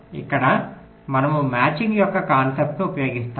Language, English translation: Telugu, ah, here we use the concept of a matching